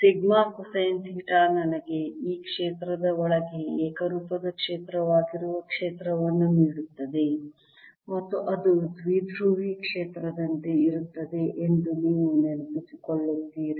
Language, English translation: Kannada, and you recall that sigma cosine theta gives me a field which is uniform field inside this sphere and outside it'll be like a dipole field